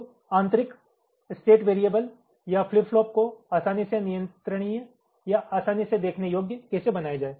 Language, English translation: Hindi, so how to make this internal state variables of flip flops, ah, easily controllable or easily observable